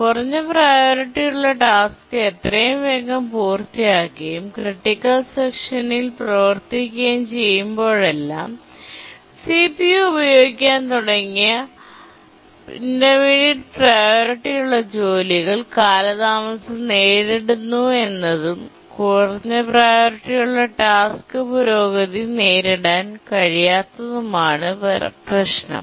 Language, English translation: Malayalam, If you remember a low priority task which was executing in the critical section was getting delayed by intermediate priority tasks which has started to use the CPU and the low priority task could not make progress